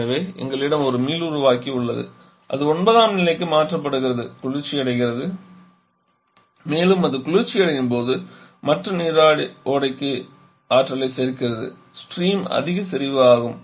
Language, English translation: Tamil, So, we have a regenerator it gets cooled to get converted to state 9 and while it is getting cooled we get energy to the others stream that was coming